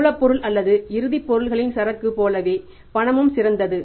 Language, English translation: Tamil, Cash is as good as inventory of the raw material or the finished goods